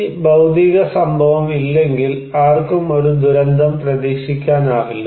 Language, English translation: Malayalam, If this physical event is not there, nobody could expect a disaster